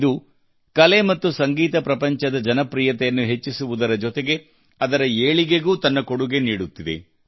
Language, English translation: Kannada, These, along with the rising popularity of the art and music world are also contributing in their enrichment